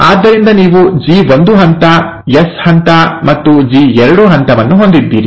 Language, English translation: Kannada, So you have the G1 phase, the S phase and the G2 phase